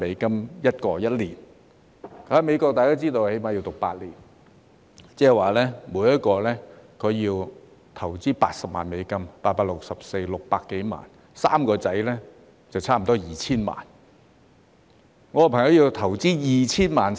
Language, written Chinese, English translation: Cantonese, 大家都知道，在美國最少要讀8年，即每人需要80萬美元，即600多萬元 ，3 名兒子就差不多需要 2,000 萬元。, As Members may know it takes at least eight years to study medicine in the United States . That means the expenses for each person will be US800,000 equivalent to over 6 million and the expenses for all the three sons will be almost 20 million